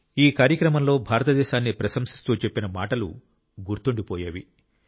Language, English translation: Telugu, The words that were said in praise of India in this ceremony are indeed very memorable